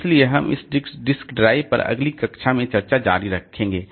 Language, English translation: Hindi, So, we'll continue with this discussion in the next class on this disk drive